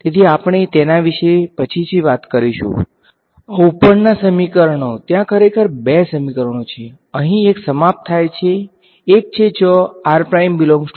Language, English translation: Gujarati, So, we will talk about that subsequently, this the top equations there are actually 2 equations are over here one is when r belongs to r r prime belongs v 1 and the second is r prime belongs to v 2